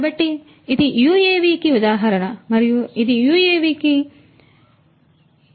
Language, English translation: Telugu, So, this is an example of an UAV and this is an example of a UAV